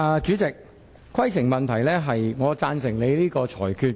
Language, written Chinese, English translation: Cantonese, 主席，我的規程問題是，我贊成你的裁決。, President my point of order is that I agree with your ruling